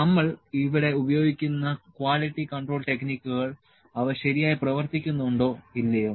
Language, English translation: Malayalam, The quality control techniques which we are employing here whether they are working properly or not